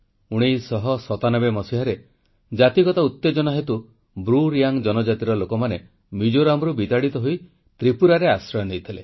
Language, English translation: Odia, In 1997, ethnic tension forced the BruReang tribe to leave Mizoram and take refuge in Tripura